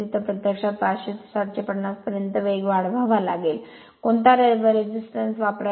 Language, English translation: Marathi, So, 500 to 750, you have to raise the speed, what resistance should be inserted in